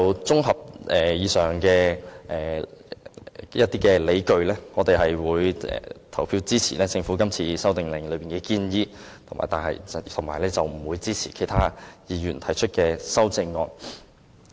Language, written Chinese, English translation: Cantonese, 綜合以上的理據，我們會投票支持政府《修訂令》的建議，但不會支持其他議員提出的修正案。, Based on the aforesaid justifications we will vote in support of the proposals put forward in the Amendment Order but we will not support the amendments proposed by other Members